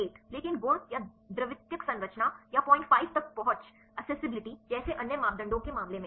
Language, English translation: Hindi, 8, but in the case of the other parameters like the properties or secondary structure or accessibility like up to 0